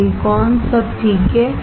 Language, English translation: Hindi, Silicon all right